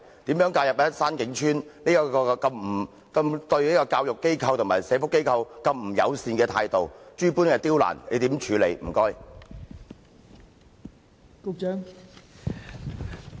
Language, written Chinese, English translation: Cantonese, 對於山景邨對教育機構和社福機構如此不友善的態度，諸般刁難，政府如何處理？, What will the Government do to address Shan King Estates hostility toward educational and social welfare organizations and hindrance of their work?